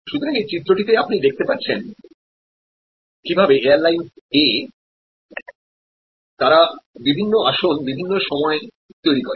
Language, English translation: Bengali, So, in this diagram you see how the airlines A, they create different times of seats